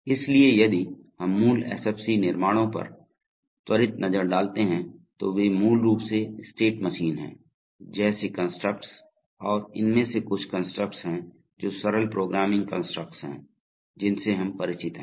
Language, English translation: Hindi, So if, let us look at quick look at the basic SFC constructs, they are basically state machine like constructs and contain some constructs which are, which are simple programming constructs, with which we are familiar